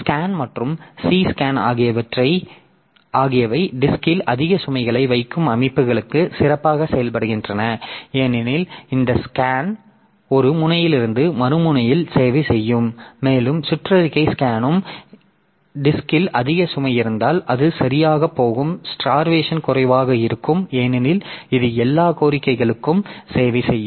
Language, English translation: Tamil, Scan and C scan they perform better for systems that place a heavy load on the disk because this scan so it will be servicing from one end to the other end and circular scan will also do similar to that so if there is a more heavy load on the disk then it will be going properly and the starvation is less because because this it will be servicing all the requests so possibility of starvation is less